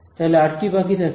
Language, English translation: Bengali, What am I left with